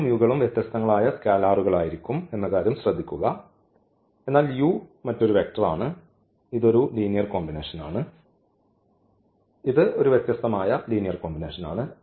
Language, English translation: Malayalam, Note that these lambdas and this mus will be different and the other scalars, but this u is another vector so, this is a linear combination, a different linear combination here v is another vector so, we have a different linear combination there